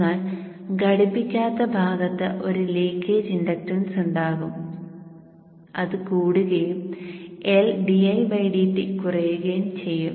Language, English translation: Malayalam, But the uncoupled part there will be some leakage inductance and that will give rise to an LDI by DT drop